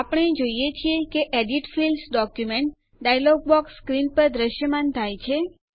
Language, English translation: Gujarati, We see that the Edit Fields: Document dialog box appears on the screen